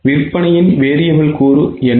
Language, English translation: Tamil, So, what is a variable component of sales